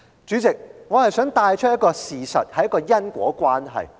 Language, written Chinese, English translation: Cantonese, 主席，我想帶出一項事實和因果關係。, President I wish to bring up the fact and the causal relationship